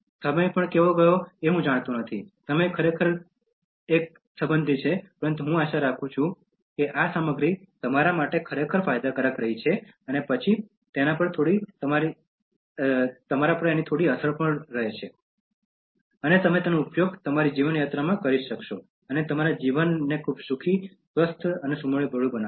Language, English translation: Gujarati, I didn’t know how time went, time is really a relative, but then I hope that these materials have been really beneficial to you and then had some impact on you, and you are able to use them in your life journey and make your life a very happy, healthy, and a harmonious one